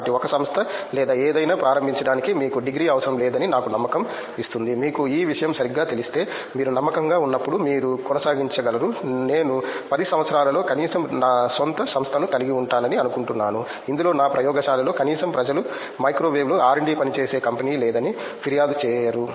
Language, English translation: Telugu, So, that gives me a confidence you don’t need a degree to start a company or something, if you have if you know the subject properly, when you are confident enough that you can carry on then I think in 10 years at least I think I will have my own company in which at least people in my lab won’t ever complain you don’t have a company in R&D working in microwave